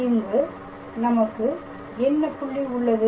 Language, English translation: Tamil, So, at the point what is the point here